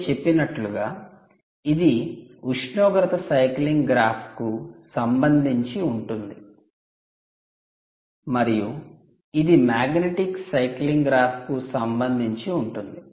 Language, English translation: Telugu, as i mentioned, this is with respect to temperature cycling graph and this is with respect to the magnetic cycling graph